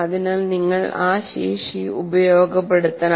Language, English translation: Malayalam, So you should make use of that